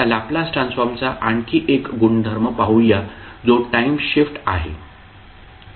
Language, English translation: Marathi, Now, let us see another property of the Laplace transform that is time shift